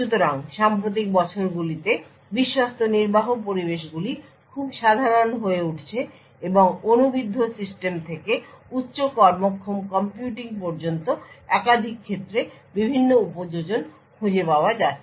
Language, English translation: Bengali, So, Trusted Execution Environments are becoming quite common in the recent years and finding various applications in multiple domains ranging from embedded system to high performing computing